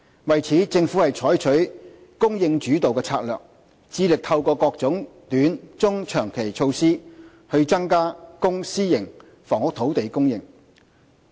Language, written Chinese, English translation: Cantonese, 為此，政府採取"供應主導"策略，致力透過各種短、中、長期措施增加公、私營房屋土地供應。, To this end the Government has striven to increase public and private housing supply through various short - medium - and long - term means under the supply - led strategy